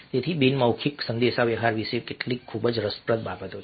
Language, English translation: Gujarati, so these are some very interesting things about a nonverbal communication